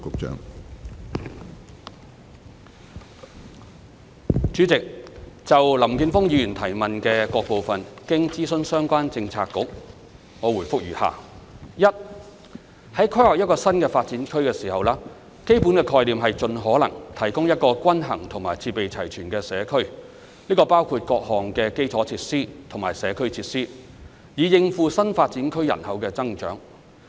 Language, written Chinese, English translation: Cantonese, 主席，就林健鋒議員質詢的各部分，經諮詢相關政策局，我答覆如下：一在規劃一個新發展區時，基本概念是盡可能提供一個均衡和設備齊全的社區，這包括各項基礎設施和社區設施，以應付新發展區人口的增長。, President after consulting the relevant bureaux my reply to the various parts of the question raised by Mr Jeffrey LAM is as follows 1 In planning for a New Development Area NDA the fundamental concept is to build a balanced community with all the necessary facilities as far as possible and this includes the provision of various infrastructure and community facilities to meet the needs of population growth